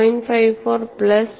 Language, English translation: Malayalam, 54 plus 0